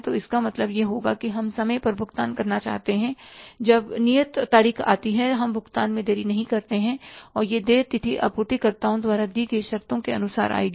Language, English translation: Hindi, So, it means we'll have to say that we want to pay on time when the due date comes, we don't want to delay the payment and that due date will come as for the terms given by the suppliers